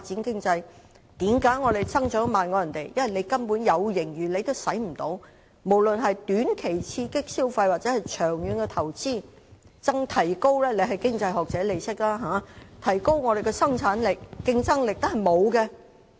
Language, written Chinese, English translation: Cantonese, 因為我們即使有盈餘也沒有運用，無論是用於短期刺激消費或是長遠投資——局長是經濟學者，應該也懂得這些——更沒有動用盈餘提高香港的生產力、競爭力。, Because we have not spent our surplus on short - term measures to stimulate consumption or on long - term investments neither have we used the surplus to enhance the productivity and competitiveness of Hong Kong―the Secretary as an economist should know better